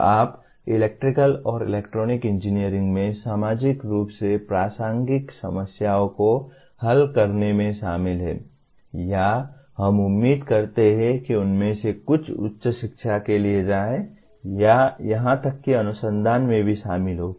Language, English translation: Hindi, So by and large you are involved in solving socially relevant problems in electrical and electronic engineering or we expect some of them go for higher education or even involved in research